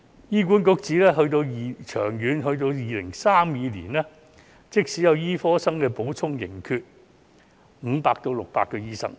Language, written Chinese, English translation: Cantonese, 醫管局指，長遠到2032年，即使有醫科生的補充，仍然缺少500至600個醫生。, It will take 10 years for these medical students to practice medicine . According to the Hospital Authority even with medical students filling the vacancies there will still be shortfall of 500 to 600 doctors in 2032